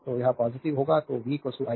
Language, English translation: Hindi, So, it will be positive so, v is equal to iR